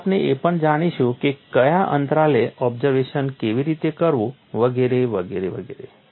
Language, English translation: Gujarati, So, we will also know how to inspect at what intervals and so on and so forth